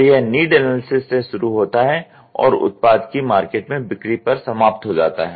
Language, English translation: Hindi, So, it starts from need analysis and ends at market sales of the product